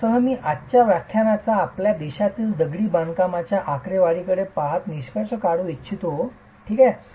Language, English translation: Marathi, With that I would like to conclude today's lecture looking at masonry statistics in our country